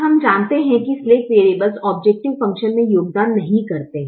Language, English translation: Hindi, now we know that the slack variables do not contribute to the objective function